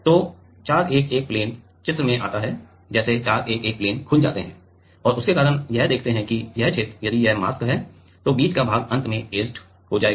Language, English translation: Hindi, So, the 411 plane comes into the picture like 411 411 planes get opened up and because of that see that this region, if this is the mask then the middle portion will get etched at last